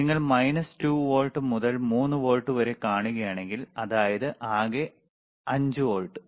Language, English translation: Malayalam, iIf you see minus 2 volt to 3 volts; that means, total is 5 volts